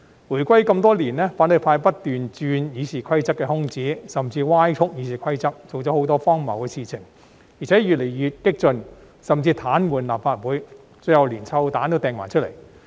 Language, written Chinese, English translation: Cantonese, 回歸多年，反對派不斷鑽《議事規則》的空子，甚至歪曲《議事規則》，做了很多荒謬的事情，而且越來越激進，甚至癱瘓立法會，最後連"臭彈"也擲出來。, For many years after the handover of sovereignty the opposition had kept exploiting the loopholes of RoP and even distorted RoP doing many ridiculous things and becoming more and more radical . They went so far as to paralyse the Legislative Council and finally even resorted to hurl stink bombs